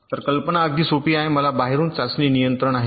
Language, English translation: Marathi, so the idea is quite simple: that i have a test control from outside